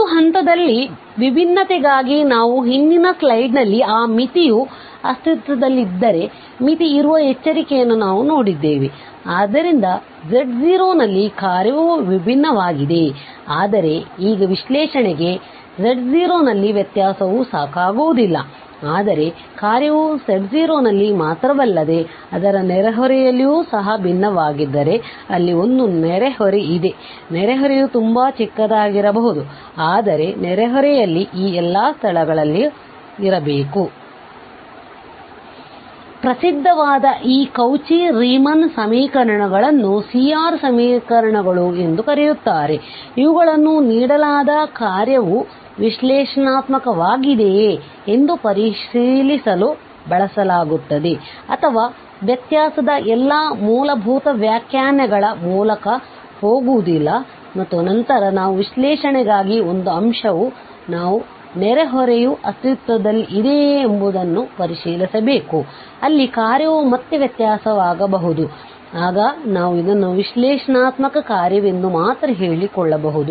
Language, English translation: Kannada, For differentiability at a point we have just defined that if that limit exists in the previous slide, we have seen that caution that limit exists, so the function is differentiable at z naught, but now for analyticity, the differentiability at z naught is not sufficient, but if the function is not only differentiable at z naught but also in its neighborhood there exists a neighborhood, neighborhood can be very small, but there should exist a neighborhood at all of these points in the neighborhood the function should have a derivative it should be differentiable, then we call the function is analytic